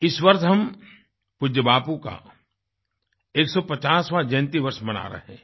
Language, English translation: Hindi, This year we are celebrating the 150th birth anniversary of revered Bapu